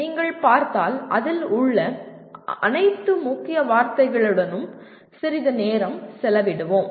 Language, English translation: Tamil, If you look at, let us spend a little time with all the keywords in that